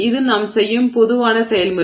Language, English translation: Tamil, So this is a general process that we do